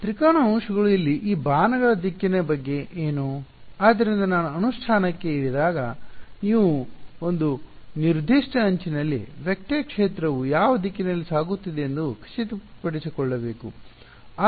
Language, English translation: Kannada, Triangle elements then what about the direction of these arrows over here yeah; so, that will come to when you when we get down to implementation we have to make sure that along a particular edge there is a consistency in which direction the vector field is going yeah